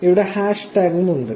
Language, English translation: Malayalam, There is also hashtag